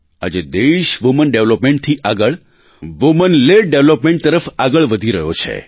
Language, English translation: Gujarati, Today the country is moving forward from the path of Women development to womenled development